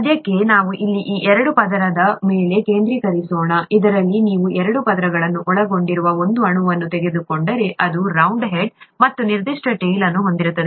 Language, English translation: Kannada, For now, let us focus on this double layer here, which has, if you take one molecule that comprises a double layer, it has this round head and a certain tail